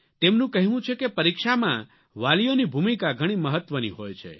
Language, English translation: Gujarati, He says that during exams, parents have a vital role to play